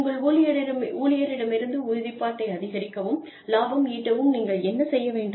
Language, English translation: Tamil, What should you do, to enhance, commitment from your employees, and to also make profit